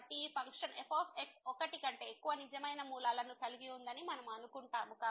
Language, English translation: Telugu, So, we assume that this function has more than one real root